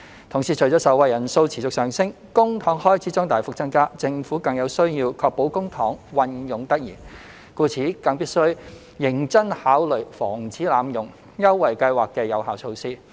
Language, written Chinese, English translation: Cantonese, 同時，隨着受惠人數持續上升，公帑開支將大幅增加，政府更有需要確保公帑運用得宜，故此必須認真考慮防止濫用優惠計劃的有效措施。, At the same time as the number of beneficiaries continues to rise public expenditure will increase substantially . Hence the Government needs to consider seriously effective measures to prevent abuses of the Scheme in order to ensure that public funds are used properly